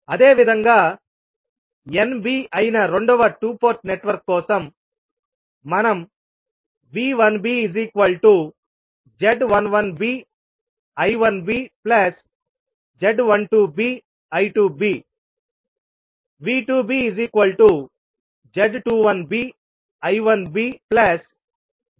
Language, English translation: Telugu, Similarly, for second two port network that is N b we can write V 1b is nothing but Z 11b I 1b plus Z 12b I 2b, V 2b is nothing but Z 21b I 1b plus Z 22b I 2b